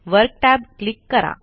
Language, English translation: Marathi, Click the Work tab